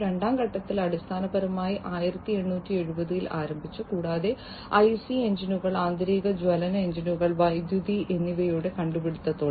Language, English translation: Malayalam, In the second stage, its the second stage basically started in 1870 and so on with the invention of the IC engines the internal combustion engines and electricity